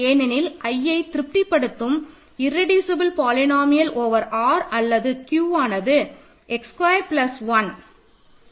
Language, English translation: Tamil, So, the irreducible polynomial of root 2 over Q is x squared minus 2